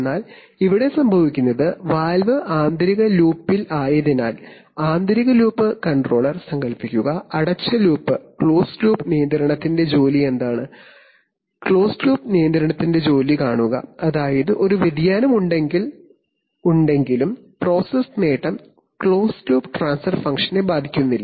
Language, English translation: Malayalam, But what happens here is that since the valve is in the inner loop, so the inner loop controller, imagine, what is the job of closed loop control, see the job of closed loop control is such that even if there is a variation in the process gain the closed loop transfer function is not affected